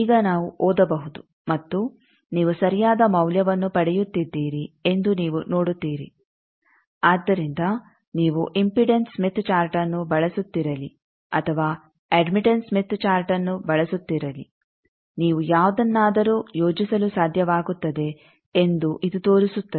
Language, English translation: Kannada, Now, we can read and you see that you are getting the correct value, so this shows that the procedures that whether you are in impedance smith chart using or admittance smith chart using you will be able to plot anyone correctly